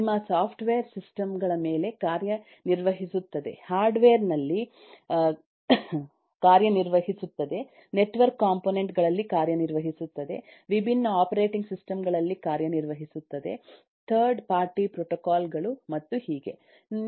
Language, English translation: Kannada, you software works on system, works on hardware, works on eh network components, works on different operating systems, third party systems and so on